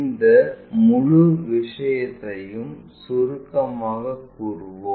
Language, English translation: Tamil, Let us summarize this entire thing